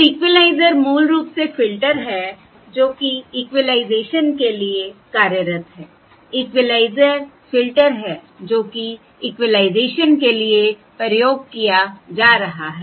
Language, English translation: Hindi, so equaliser is basically the filter that is employed for equaliser is the filter that is employed for equalisation